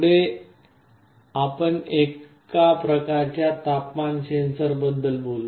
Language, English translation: Marathi, Next let us talk about one kind of temperature sensor